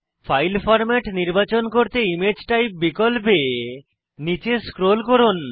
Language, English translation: Bengali, To select the file format, scroll down the options on the Image Type